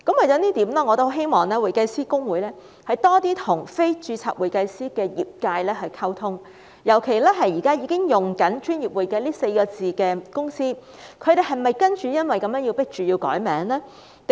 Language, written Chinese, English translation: Cantonese, 就此，我希望公會多些與非註冊會計師的業界溝通，尤其現時已經使用"專業會計"這4個字的公司，他們是否因而被迫要更改名稱呢？, In this connection I hope that HKICPA will enhance communication with practitioners who are non - HKICPA members . In particular I am concerned whether companies with names containing the words professional accounting will be compelled to change their names